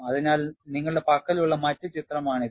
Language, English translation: Malayalam, So, this is the other picture you have